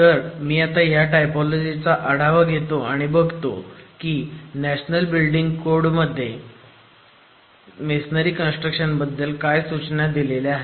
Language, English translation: Marathi, So, let me go over the typology and refer greatly to what the National Building Code has in terms of prescriptions for confined masonry construction